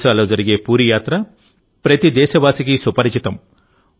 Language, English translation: Telugu, All of us are familiar with the Puri yatra in Odisha